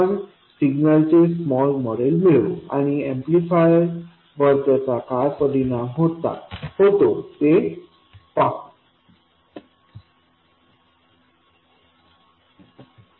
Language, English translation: Marathi, We will derive the small signal model and see what effect it has on the amplifier